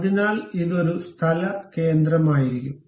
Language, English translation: Malayalam, So, that it will be place center